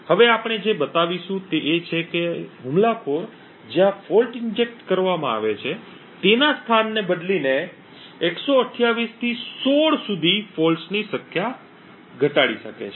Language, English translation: Gujarati, What we will show next is that the attacker can reduce the number of faults required from 128 to 16 by just changing the location of where the fault is injected